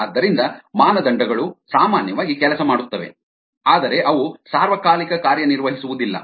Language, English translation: Kannada, so the criteria usually work, ah, but they don't work all the time